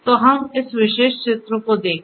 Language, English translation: Hindi, So, let us look at this particular diagram